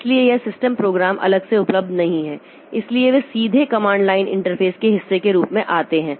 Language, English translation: Hindi, So there this system programs are not available separately, say they come as part of the command line interface directly